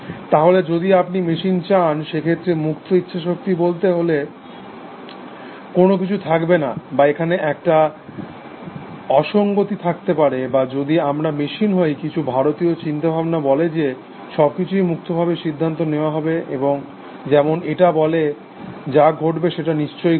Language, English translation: Bengali, ) So, if you want machines, then we would not have something called free will; or is that a contradiction; or if we are machines do we like, some of the Indian thought says, that everything is free decided, like this say, whatever have to happen will happen essentially